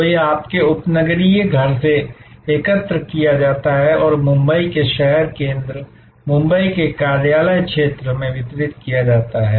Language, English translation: Hindi, So, it is collected from your suburban home and then, delivered to the city center of Mumbai, the office area of Mumbai